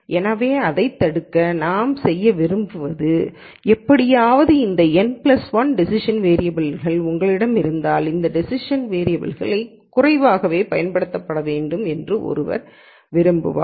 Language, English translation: Tamil, So, to prevent this what we want to do is somehow we want to say though you have this n plus 1 decision variables to use, one would want these decision variables to be used sparingly